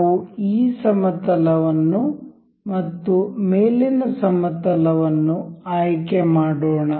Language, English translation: Kannada, Let us just select this plane and say the top plane